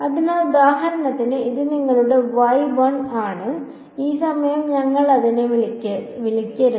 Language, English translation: Malayalam, So, for example, this is your y 1 no let us not call it y 1 this time